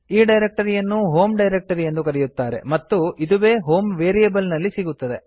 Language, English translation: Kannada, This directory is called the home directory and this is exactly what is available in HOME variable